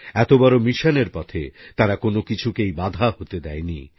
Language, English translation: Bengali, They did not let any deterrent enter in the way of this mammoth mission